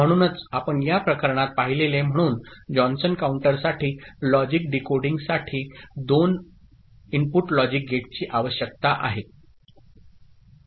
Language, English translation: Marathi, So, decoding logic for Johnson counter as you have seen in this case requires a two input logic gate